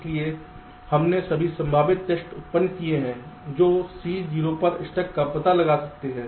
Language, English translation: Hindi, so we have generated all possible tests that can detect c struck at zero